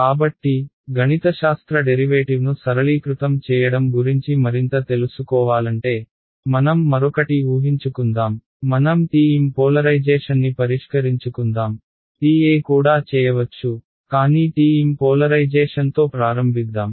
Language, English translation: Telugu, So, to further you know simplify the mathematical derivation that happens let us make one more assumption, let us say that let us deal with the TM polarization ok, TE can also be done, but let us start with TM polarization